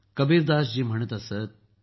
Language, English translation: Marathi, Kabirdas ji used to say,